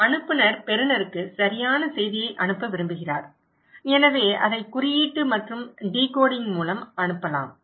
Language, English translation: Tamil, And sender wants to send message to the receiver right, so it can be sent through coding and decoding